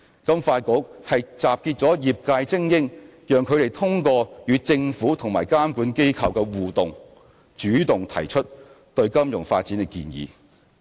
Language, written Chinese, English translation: Cantonese, 金發局集結了業界精英，讓他們通過與政府及監管機構的互動，主動提出對金融發展的建議。, FSDC comprises elite members of the sector and through their interactions with the Government and regulatory bodies they will proactively offer suggestions on financial development